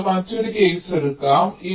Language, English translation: Malayalam, lets take another case